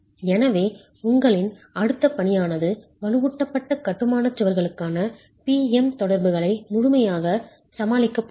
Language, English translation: Tamil, So your next assignment is basically going to deal completely with the PM interactions for reinforced masonry walls